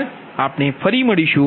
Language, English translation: Gujarati, thank you again, will come back